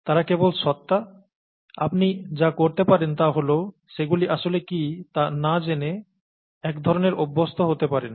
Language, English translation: Bengali, They are just being, you can, kind of get used to it without really knowing what they are